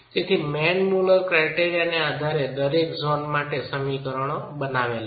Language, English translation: Gujarati, So, we developed expressions for each zone based on the Manmuller criterion